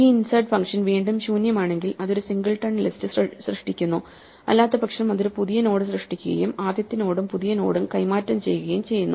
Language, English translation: Malayalam, This insert function: again if it is empty then it just creates a singleton list otherwise it creates a new node and exchanges the first node and the new node